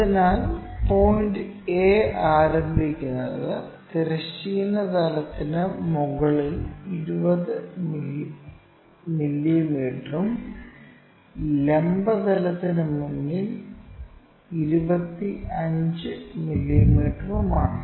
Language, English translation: Malayalam, So, the point A begins 20 mm above the horizontal plane and 25 mm in front of vertical plane